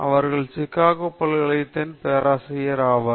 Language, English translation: Tamil, He is a professor of Psychology, University of Chicago